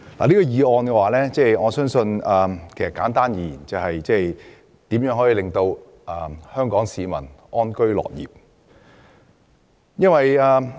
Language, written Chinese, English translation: Cantonese, 我認為，簡單而言，這項議題的要旨就是如何能令香港市民安居樂業。, To put it simply I think the crux of this subject is how we can make Hong Kong people live in happiness and work in contentment